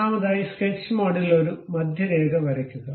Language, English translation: Malayalam, In the sketch mode, first of all draw a centre line